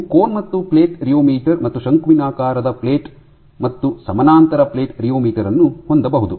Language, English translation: Kannada, So, you can have a cone and plate rheometer, but a conical play as well as a parallel plate rheometer